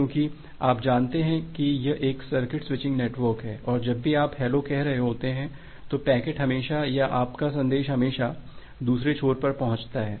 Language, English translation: Hindi, Because you know that it is a circuit switching network and whenever you are saying hello, the packet will always or your message with always reach at the other end